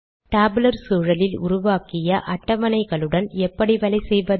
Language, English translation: Tamil, How do we work with the tables created using the tabular environment